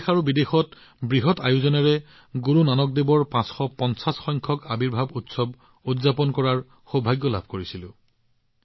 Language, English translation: Assamese, We had the privilege of celebrating the 550th Prakash Parv of Guru Nanak DevJi on a large scale in the country and abroad